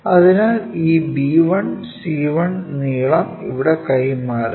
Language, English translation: Malayalam, So, transfer this b 1, c 1 length here